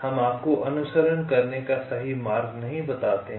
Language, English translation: Hindi, we do not tell you the exact route to follow